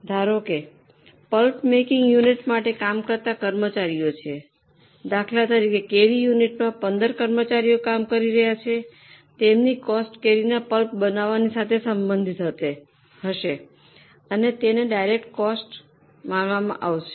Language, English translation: Gujarati, Suppose there are employees who work on a specific pulp making unit, let us say there are 15 employees who are only working in mango unit, then their cost you know that this is specifically identifiable to mango pulp making, then that will be considered as a direct cost